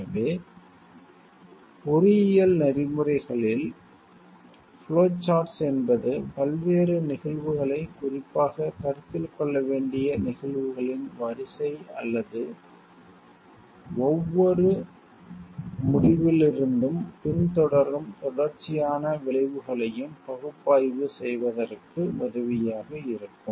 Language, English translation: Tamil, So, in engineering ethics flow charting will be helpful for analyzing a variety of cases especially those in which there is a sequence of events to be considered or a series of consequences that follows from each decision